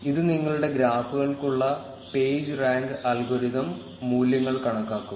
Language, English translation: Malayalam, This will compute the values of the page rank algorithm for your graphs